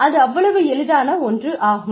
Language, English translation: Tamil, It is as simple as that